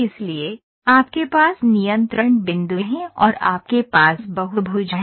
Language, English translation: Hindi, So, you have control points and you have control polygons